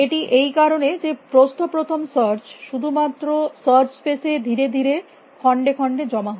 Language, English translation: Bengali, Because, of the fact that breadth first search only floats slowly into the search space